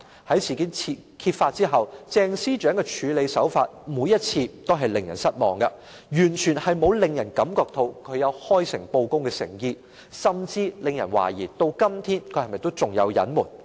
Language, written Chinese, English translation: Cantonese, 在事件揭發後，鄭司長的處理手法每次均令人失望，完全沒有令人感到她有開誠布公的誠意，甚至令人懷疑她至今仍有所隱瞞。, Following the uncovering of the incident Ms CHENGs handling has been disappointing on each and every occasion giving people the impression that she does not have the sincerity to be upfront and honest making people even suspect that she has so far concealed certain facts